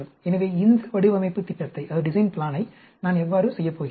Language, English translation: Tamil, So, how am I going to perform this design plan